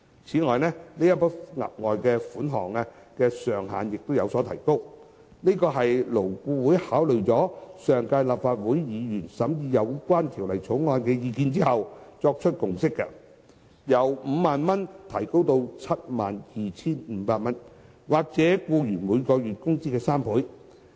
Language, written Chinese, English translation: Cantonese, 此外，這筆額外款項的上限亦有所提高，這是勞顧會考慮了上屆立法會議員審議《2016年條例草案》的意見後作出的共識，由 50,000 元提高至 72,500 元或僱員每月工資的3倍。, In addition the ceiling of the further sum has also been raised . As a consensus reached by LAB after considering the views expressed by the last Legislative Council during the scrutiny of the 2016 Bill the ceiling has been raised from 50,000 to 72,500 or three times the employees monthly wage